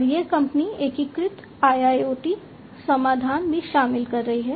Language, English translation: Hindi, And this company is also incorporating integrated IIoT solutions